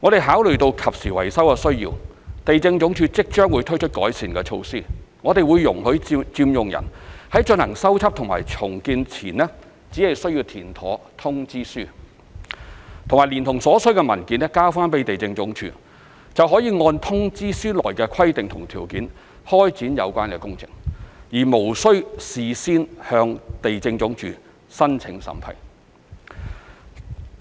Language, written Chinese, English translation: Cantonese, 考慮到進行及時維修的需要，地政總署即將推出改善措施，容許佔用人在進行修葺和重建前，只須填妥通知書和連同所需的文件交回地政總署，便可按通知書內的規定及條件開展有關的工程，而無須事先向地政總署申請審批。, In view of the need for immediate repair the Lands Department will introduce improvement measures soon under which occupants will be allowed to fill in and submit a notification letter to the Lands Department together with other required documents before repair and rebuilding . They can then commence the related work subject to the requirements and conditions stated in the notification letter without prior application for the Lands Departments approval